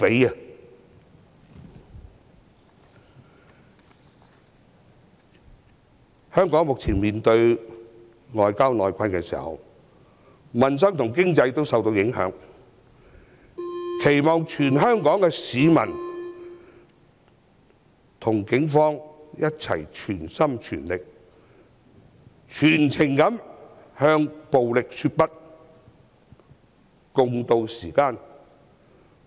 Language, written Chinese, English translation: Cantonese, 在香港面對外憂內困，民生、經濟受到影響的時候，我期望全港市民能與警方一同全心、全力、全情向暴力說不，共渡時艱。, As Hong Kong is faced with both external and internal troubles and peoples livelihood and our economy are adversely affected I hope that all Hong Kong people will whole - heartedly vigorously and dedicatedly join the Police in saying no to violence and tiding over the difficulties together